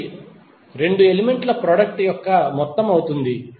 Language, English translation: Telugu, This would be the the sum of the product of 2 elements